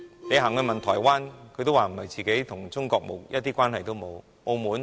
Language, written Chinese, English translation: Cantonese, 你問問台灣人，他們會說自己與中國一點關係也沒有。, If you ask the Taiwanese they will tell you that they have no relationship whatsoever with China